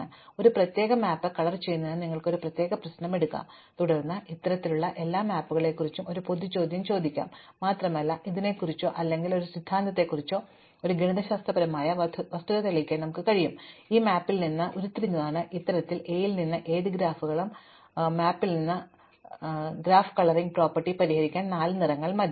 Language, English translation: Malayalam, So, you can take a particular problem about coloring a particular map and then we can ask a general question about all maps of this kind and we can actually prove a mathematical fact about it or a theorem, which says that in any map which is derived from this kind of a, any graphs which is derive from this kind of a map, four colors are enough to solve the graph coloring property